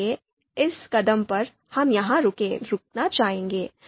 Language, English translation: Hindi, So at this step, we would like to stop here